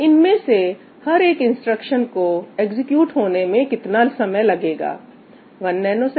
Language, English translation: Hindi, Now, how long is it going to take to execute each one of these instructions one nanosecond